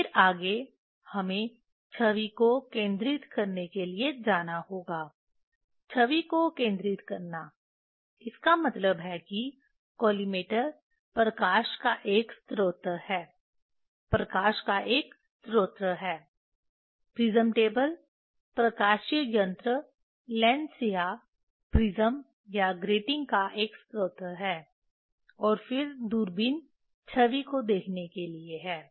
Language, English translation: Hindi, Then next we have to go for focusing the image; focusing the image so; that means, the collimator is a source of light; is a source of light prism table is for is a source of optical device either lens or prism or the grating and then telescope is for seeing the image Focusing the image roughly slit source are there on prism table nothing is there